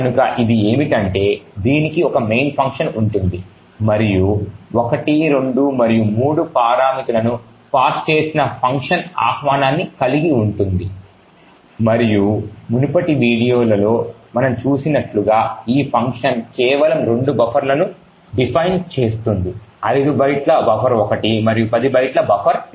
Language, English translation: Telugu, So what it does is that it has a main function and an invocation to this function which is passed parameters 1, 2 and 3 and as we have seen in the previous videos this function just defines two buffers, buffer 1 of 5 bytes and buffer 2 of 10 bytes